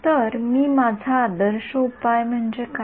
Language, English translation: Marathi, So, I my ideal solution is what